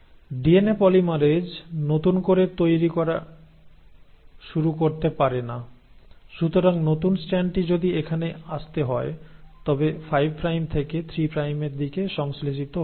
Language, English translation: Bengali, The DNA polymerase de novo cannot start making, so if the new strand which has to come here has to get synthesised in 5 prime to 3 prime direction